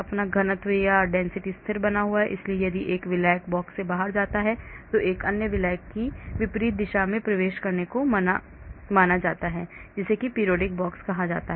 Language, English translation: Hindi, so density is maintained constant, so if a solvent goes out of the box then another solvent is assumed to enter from the opposite direction that is what is called periodic box